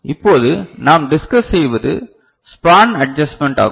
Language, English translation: Tamil, Now, what we discusse is the span adjustment ok